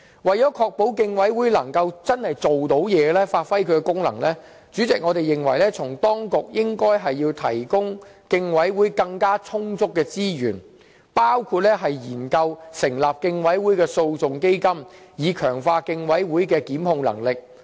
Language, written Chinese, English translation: Cantonese, 為了確保競委會能夠真的發揮功能，主席，我們認為當局應該為競委會提供更充足的資源，包括研究成立競委會的訴訟基金，以強化競委會的檢控能力。, President to ensure that the Competition Commission genuinely perform its functions we are of the view that efforts to enhance its resource sufficiency should be made including setting up a litigation fund under the Competition Commission in a bid to strengthen the Competition Commissions capacity to institute proceedings